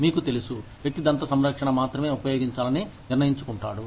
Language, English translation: Telugu, You know, the person decides to use, only dental care